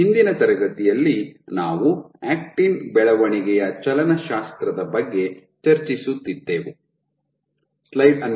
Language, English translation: Kannada, So, in the last class we were discussing about dynamics of actin growth right